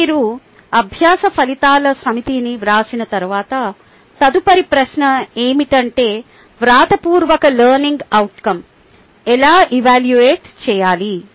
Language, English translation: Telugu, ok now, once you write a set of learning outcomes, then the next question is how to evaluate the written learning outcomes